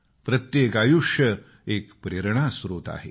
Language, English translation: Marathi, Every life, every being is a source of inspiration